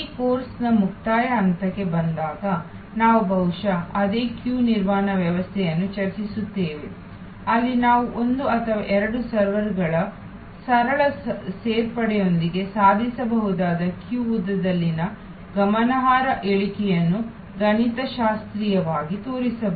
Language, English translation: Kannada, We will discuss perhaps the same queue management system later on when we come to the closing stage of this course, where we can mathematically show the significant reduction in queue length that can be achieved with simple addition of maybe one or two servers